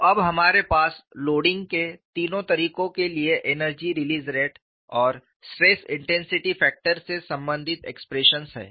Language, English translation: Hindi, So, now we have expressions relating energy release rate and stress intensity factor for all the three modes of loading